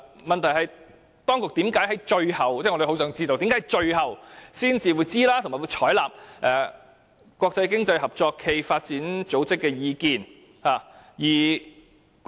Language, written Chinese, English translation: Cantonese, 問題是，我們很想知道，當局為甚麼在最後才知悉有關事宜，並且採納經合組織的意見？, The question is we want to know why the Administration found out the matter so late and decided to adopt OECDs view